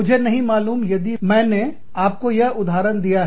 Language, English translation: Hindi, I do not know, if i gave you the example